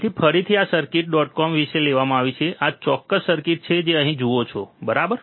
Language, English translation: Gujarati, So, again this circuit is taken from all about circuits dot com, this particular circuit that you see here, right